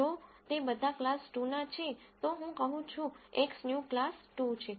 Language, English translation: Gujarati, If all of them belong to class 2, I say X new is class 2